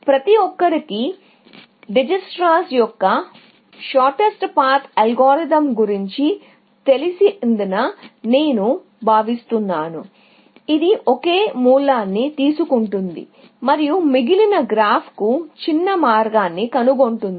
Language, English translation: Telugu, So, I take it that everybody is familiar with Dijikistra’s shorter spark algorithm, which takes a single source and finds shorter spark, to the rest of the graph, essentially